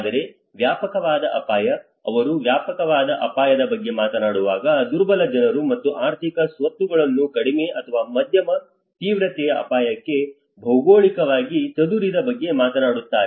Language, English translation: Kannada, Whereas the extensive risk, when he talks about the extensive risk, he talks about the geographically dispersed exposure of vulnerable people and economic assets to low or moderate intensity hazard